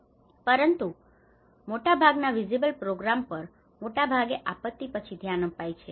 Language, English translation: Gujarati, But the most visible programs are mostly focused on after the disaster